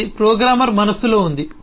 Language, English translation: Telugu, It remains in the mind of the programmer